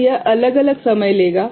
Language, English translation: Hindi, So, it will take different point of time